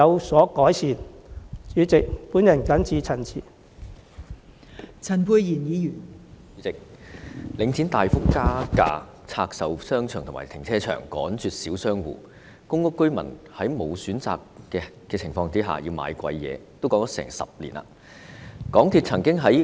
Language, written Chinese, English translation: Cantonese, 代理主席，領展房地產投資信託基金大幅加價，拆售商場和停車場，趕絕小商戶，公屋居民在沒有選擇的情況下被迫買貴價貨，情況已持續近10年。, Deputy President the Link Real Estate Investment Trust Link REIT has increased the rentals substantially and divested its shopping arcades and car parks . Small shop operators are driven out of business while tenants of public rental housing PRH are forced to buy over - priced goods out of no choice and this has been the case for almost a decade